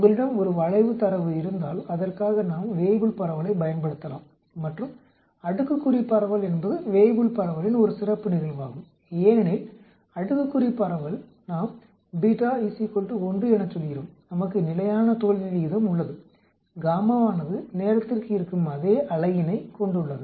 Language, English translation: Tamil, If you have a skewed data then we can use a Weibull distribution for that actually and the exponential distribution is a special case of Weibull distribution because exponential distribution we say beta is equal to 1, we have constant failure rate, gamma has the same unit as time